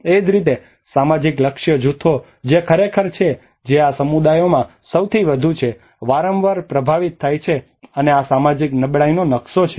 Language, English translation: Gujarati, Similarly, the social the target groups which are actually which are the most of these communities which are often affected and this is the social vulnerability map